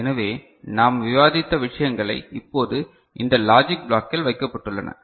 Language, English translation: Tamil, So, whatever we have discussed this same thing is now put into this logic block, right